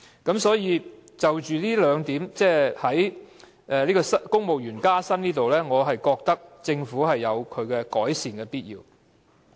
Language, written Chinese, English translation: Cantonese, 因此，就公務員薪酬這部分來說，我覺得政府是有改善的必要。, Therefore insofar as the civil service pay is concerned I think improvement by the Government is necessary